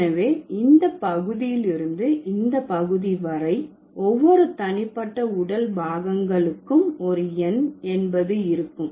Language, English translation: Tamil, So, from this part to this part, all of this like each of the individual body part would be represented with a number